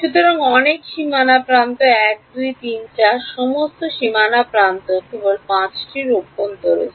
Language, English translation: Bengali, So, there are so many boundary edges 1 2 3 and 4 all boundary edges only 5 is interior